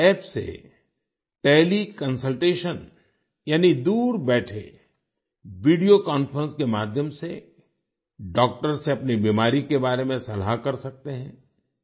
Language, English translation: Hindi, Through this App Teleconsultation, that is, while sitting far away, through video conference, you can consult a doctor about your illness